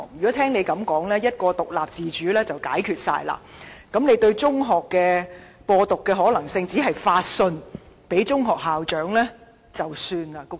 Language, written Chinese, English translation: Cantonese, 按他所說，一句獨立自主便可解決問題，對於有人在中學"播獨"的可能性，只是發信給中學校長便算解決了。, According to him all problems can be solved by citing independence and autonomy . Regarding the possibility of people propagating Hong Kong independence in secondary schools the authorities merely issued a letter to the school principals and regarded the problem solved